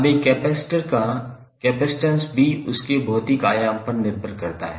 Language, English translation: Hindi, Now, capacitance of a capacitor also depends upon his physical dimension